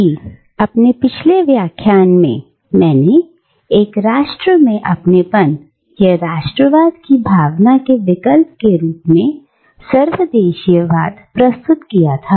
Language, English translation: Hindi, Because in my previous lecture I have presented cosmopolitanism as a kind of an alternative to the sense of belonging in a nation, or to the sense of nationalism